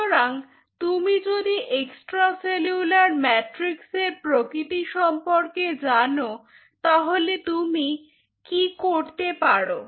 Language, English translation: Bengali, so if you know that extracellular matrix nature, then what you can do, you have